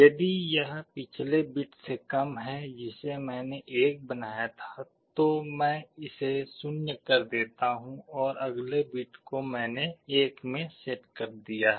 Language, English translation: Hindi, If it is less than, in the last bit which I had made 1, I make it 0 and the next bit I set to 1